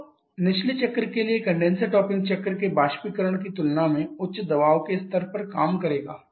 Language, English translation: Hindi, So, the condenser for the bottoming cycle will work at a higher pressure level compared to the evaporator of the topping cycle